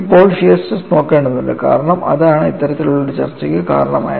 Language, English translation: Malayalam, So now, we have to look at the shear stress because that is what as precipitated at this kind of a discussion